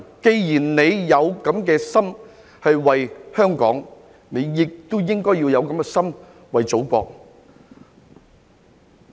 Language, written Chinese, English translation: Cantonese, 既然他們有這樣的心為香港，我希望他們也應該要有這樣的心為祖國。, Given that they have such a heart for Hong Kong I hope they should also have such a heart for our Motherland . It is never too late to desist from the wrong